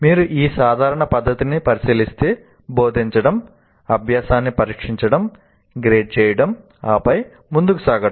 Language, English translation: Telugu, If you look at this common practice is to teach, test the learning, grade it and then move on